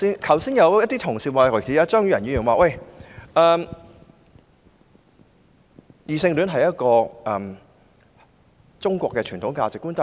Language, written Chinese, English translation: Cantonese, 剛才有同事表示異性戀是中國傳統價值觀。, Just now some Members referred to heterosexuality as a traditional Chinese value